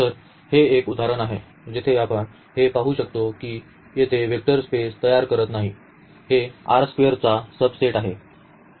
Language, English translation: Marathi, So, this is one example where we can see that this does not form a vector space though here the; this is a subset of this R square